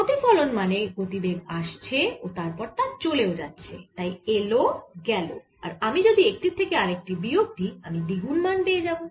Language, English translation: Bengali, so reflection means there's a momentum coming in and momentum going out, so in and if i subtract one from the other i get twice as much value